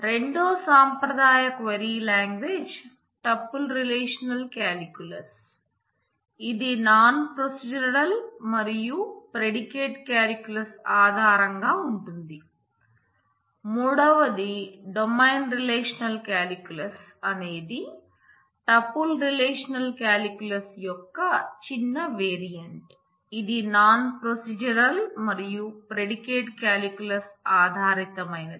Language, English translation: Telugu, The second formal query language is tuple relational calculus which is non procedural and is based on predicate calculus